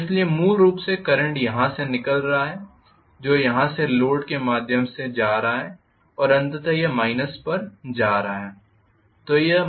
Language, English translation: Hindi, So I am going to have essentially a current emanating from here going through the load and going back ultimately to the minus